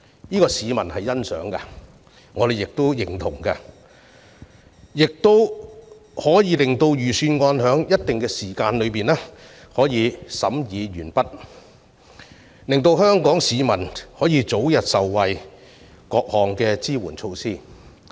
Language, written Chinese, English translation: Cantonese, 這是市民所欣賞的，我們亦相當認同，可以讓預算案在一定時間內審議完畢，令香港市民可以早日受惠於各項支援措施。, This approach is appreciated by the public and welcomed by us as it allows the scrutiny of the Budget to be completed within a designated time so that the public can benefit from various support measures as soon as possible